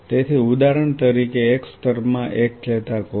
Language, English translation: Gujarati, So, for example, in one layer one neuron